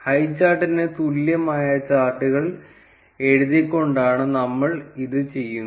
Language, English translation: Malayalam, We do this by writing chart is equal to highchart